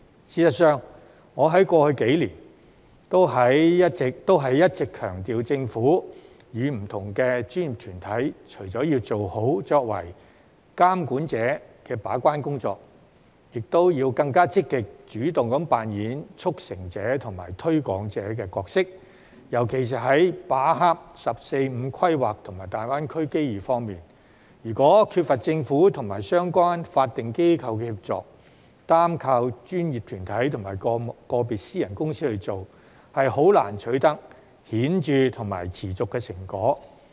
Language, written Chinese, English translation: Cantonese, 事實上，我在過去數年也一直強調，政府和不同的專業團體除了要做好作為監管者的把關工作，亦要更積極及主動地扮演促成者和推廣者的角色，尤其是在把握"十四五"規劃和大灣區機遇方面，如果缺乏政府和相關法定機構的協助，單靠專業團體和個別私人公司去做，實在難以取得顯著及持續的成果。, In fact I have been emphasizing for the past few years that the Government and various professional bodies should not only perform their gatekeeping duties properly but should also play a more positive and proactive role as facilitators and promoters especially in seizing the opportunities provided by the 14th Five - Year Plan and the Greater Bay Area GBA . It is because without the assistance of the Government and relevant statutory bodies it will indeed be difficult to achieve significant and sustainable results if we rely solely on professional bodies and individual private enterprises